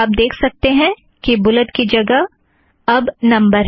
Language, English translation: Hindi, You can see that the bullets have become numbers now